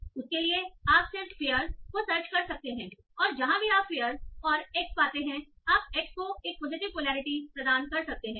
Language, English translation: Hindi, You can search for this and whenever you find fair end x, you might assign a positive polarity to x